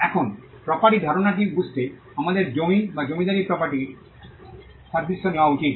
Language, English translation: Bengali, Now, to understand the concept of property, we need to take the analogy of land or landed property